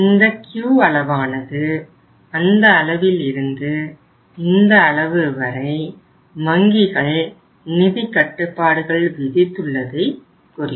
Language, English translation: Tamil, So this level of the Q, so it means from this level to this level the funds have been say restricted by the banks